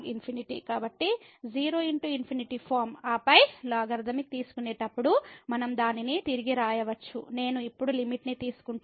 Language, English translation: Telugu, So, 0 into infinity form and then we can rewrite it as while taking the logarithmic I am we taking the limit now